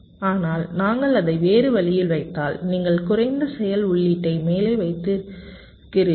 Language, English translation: Tamil, but if we put it the other way round, the least active input you put at the top